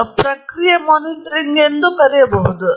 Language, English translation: Kannada, So, this is also known as Process Monitoring